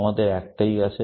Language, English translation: Bengali, We have only one